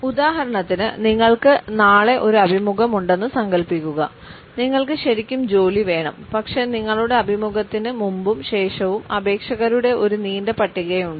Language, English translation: Malayalam, For example, imagine you have an interview tomorrow and you really want the job, but there is a long list of applicants before and after your interview